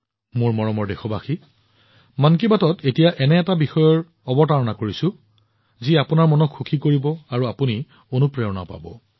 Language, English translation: Assamese, My dear countrymen, in 'Mann Ki Baat', let's now talk about a topic that will delight your mind and inspire you as well